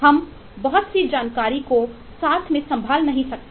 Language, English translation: Hindi, we cannot handle a lot of information together